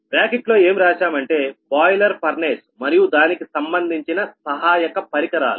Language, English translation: Telugu, right in bracket is written boiler furnace and associated auxiliary equipment